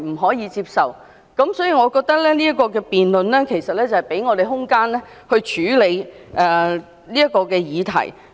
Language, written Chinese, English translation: Cantonese, 所以，我覺得這項辯論可給我們空間來處理這個議題。, For this reason I consider the motion debate can give us the room to deal with the issue